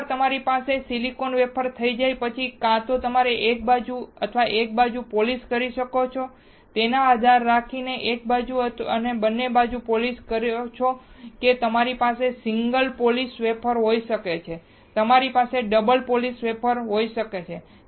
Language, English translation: Gujarati, Once you have silicon wafer, you can either polish one, one side, depending on whether you have polished on one side or both side you can have single polished wafer or you can have double sided polished wafers, easy